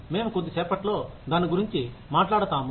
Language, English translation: Telugu, We will talk about it, in a little while